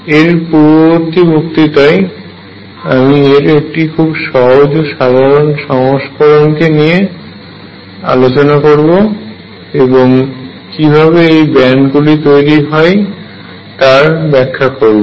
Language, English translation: Bengali, In the next lecture I am going to do a simplified version of this and show how these bands should necessarily arise